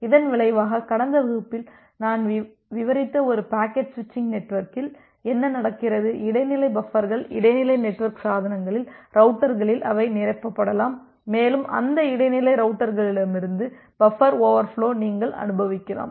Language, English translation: Tamil, And as a result what happens in a packet switching network that I described in the last class, that the intermediate buffers, at the intermediate network devices that at the routers, they may get filled up and you may experience a buffer over flow from those intermediate routers